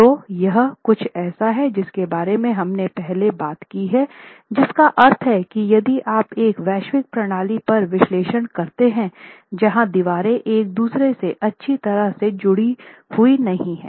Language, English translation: Hindi, So, this is something that we had talked about earlier which means if you try to do a global analysis on a system where the walls are not well connected to each other, you have a problem